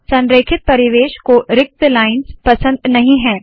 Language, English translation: Hindi, Aligned environment does not like blank lines in between